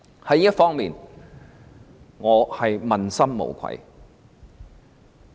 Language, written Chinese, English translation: Cantonese, 在這方面，我問心無愧。, In this connection I have a clear conscience